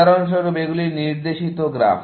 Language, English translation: Bengali, For example, these are directed graphs